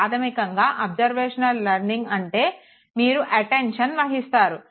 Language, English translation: Telugu, Observational learning basically says that you pay attention